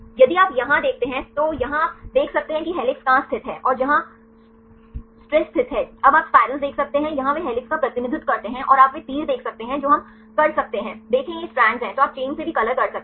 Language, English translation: Hindi, If you see here then here you can see where the helix are located, and where the strands are located now you can see the spirals here they represent the helix and you can see the arrows that we can see these are strands then also you can color by chains